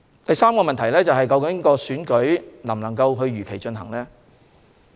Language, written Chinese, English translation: Cantonese, 第三個問題是選舉能否如期進行。, The third question is whether the Election can be held as scheduled